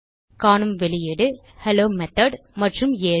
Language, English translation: Tamil, We see the output Hello Method and 7